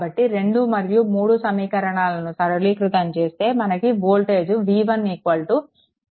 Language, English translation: Telugu, So, solving equation 1 and 2, you will get v 1 is equal to 10